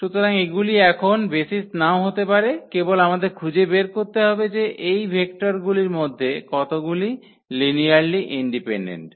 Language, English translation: Bengali, So, these may not be the basis now we have to just find out that how many of these vectors are linearly independent